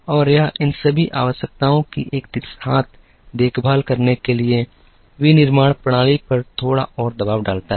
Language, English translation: Hindi, And this also puts a little more pressure on manufacturing to take care of all these requirements simultaneously